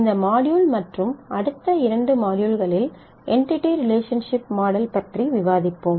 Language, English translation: Tamil, In this module and the next 2 we will discuss about Entity Relationship Model